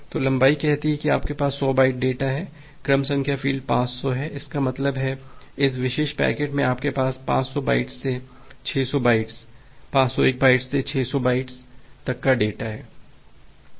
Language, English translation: Hindi, So the length says that you have 100 byte data, the sequence number field is a 500; that means, in this particular packet you have data from 500 bytes to 600 bytes, 501 bytes to 600 bytes